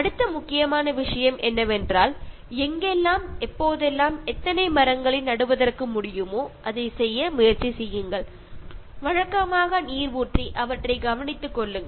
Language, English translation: Tamil, And the next important thing is, plant trees whenever and wherever it is possible and how many it is possible try to do that, take care of them pour water regularly